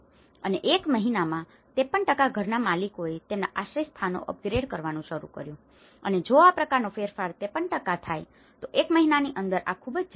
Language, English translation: Gujarati, And within a month 53% of the house owners have started to upgrade their shelters and this is very quick, within a month if this kind of change is 53%